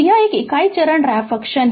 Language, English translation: Hindi, So, this is a unit step, your what you call the ramp function